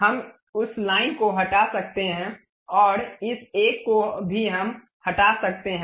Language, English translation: Hindi, We can remove that line and also this one also we can remove